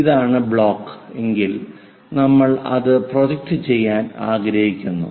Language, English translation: Malayalam, If this block, we will like to project it